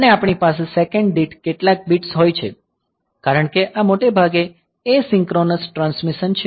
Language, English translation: Gujarati, And we have some bits per second the bps setting because this is mostly asynchronous transmission